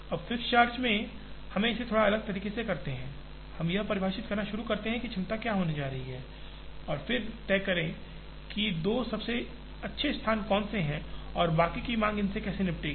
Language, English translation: Hindi, Now, in the fixed charge we do it slightly differently, we start defining what the capacities are going to be and then decide, which are the two best locations and how the demands of rest of them are going to be handled by this